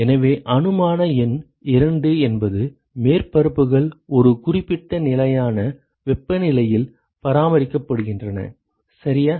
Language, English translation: Tamil, So, assumption number 2 is the surfaces are maintained at a certain constant temperature right